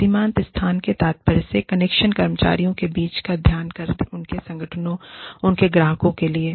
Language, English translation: Hindi, Liminal space refers to the, space between the connection employees have, to their organizations and their clients